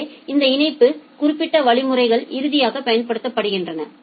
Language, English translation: Tamil, So, these link specific mechanisms are finally applied